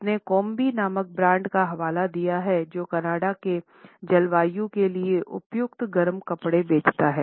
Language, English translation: Hindi, She has referred to the brand of Kombi which sells a warm winter clothing suitable for the Canadian climate